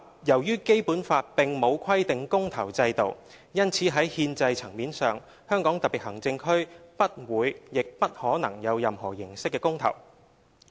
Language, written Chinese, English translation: Cantonese, 由於《基本法》並沒有規定公投制度，因此在憲制層面上，香港特別行政區不會亦不可能有任何形式的公投。, As there is no provision for a system of referendum in the Basic Law at the constitutional level the HKSAR will not and cannot hold any form of referendum